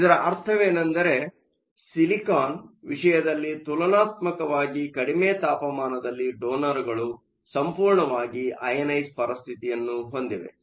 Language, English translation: Kannada, What this means is at a relatively low temperature in the case of silicon, you have a situation where the donors are completely ionized